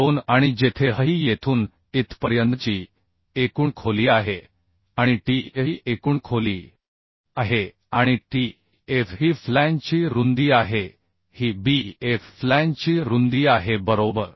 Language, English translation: Marathi, 2 and where h is the total depth from here to here total depth and tf is the this is h and tf bf is the flange width this is bf flange width right So if h by bf is greater than 1